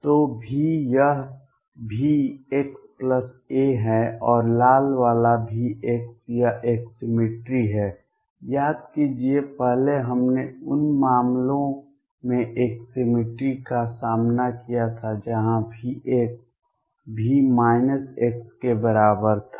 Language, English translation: Hindi, So, V this is V x plus a and the red one V x this is a cemetery recall earlier we had encountered a symmetry in the cases where V x was equal to V minus x